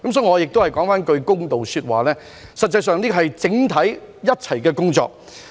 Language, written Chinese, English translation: Cantonese, 所以，讓我說句公道話，這是一項整體工作。, So it is fair to say that the matter involves everybody